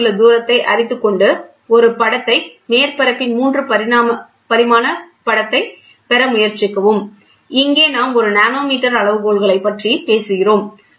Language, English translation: Tamil, And knowing the distance between try to superimpose and try to get a images a 3 dimensional image of the surface, and here we talk about a nanometer scales